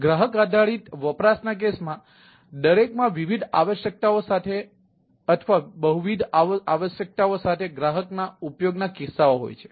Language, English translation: Gujarati, so, customer based use cases, each with different requirements or with several requirements, customer use cases are there